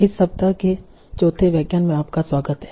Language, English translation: Hindi, So, welcome back for the fourth lecture of this week